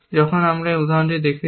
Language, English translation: Bengali, What we have shown in this example